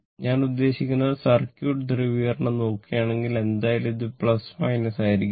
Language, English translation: Malayalam, I mean if you look into the circuit if you look into the circuit polarity will be anyway this 1 plus minus